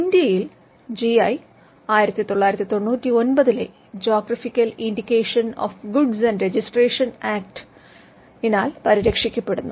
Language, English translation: Malayalam, GI in India is protected by geographical indication of goods registration and protection Act of 1999